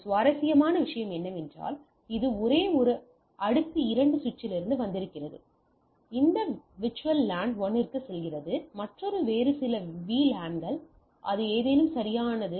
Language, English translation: Tamil, One interesting thing you can see that it is from the same layer 2 switch it is coming up one going to this VLAN 1, another is some other VLANs or something right